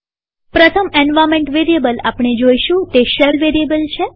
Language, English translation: Gujarati, The first environment variable that we would see is the SHELL variable